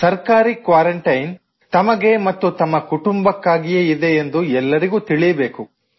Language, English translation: Kannada, Everyone should know that government quarantine is for their sake; for their families